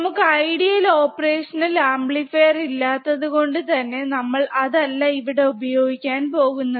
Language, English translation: Malayalam, But we are not going to use an ideal operational amplifier, because we do not have ideal operational amplifier